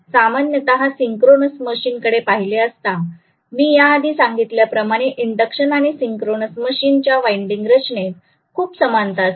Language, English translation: Marathi, Normally when we are looking at a synchronous machine I told you that the winding structures are extremely similar for induction and synchronous machine right